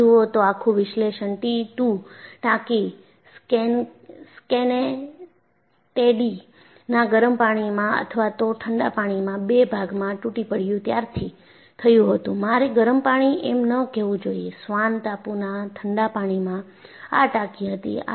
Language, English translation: Gujarati, And if you really look at, the whole analysis started when you had this T 2 tanker Schenectady broke into two in the warm waters of, in the cold waters, you should not say warm waters, in the cold waters of Swan island and this is the tanker